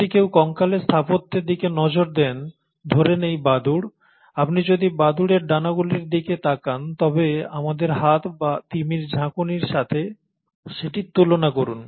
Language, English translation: Bengali, If one were to look at the skeletal architecture of, let’s say, bats, human forelimbs; so if you were to look at the wings of bats, compare that with our forehands or with the flipper of the whales